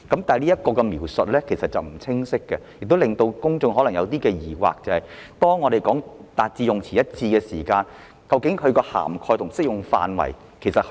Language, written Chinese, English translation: Cantonese, 這方面的描述有欠清晰，亦令公眾產生疑惑，就是當政府說要達致用詞一致時，究竟涵蓋和適用範圍有多大？, There is no clear description in this regard and members of the public are unsure about the coverage and extent of the amendment when the Government vows to achieve consistency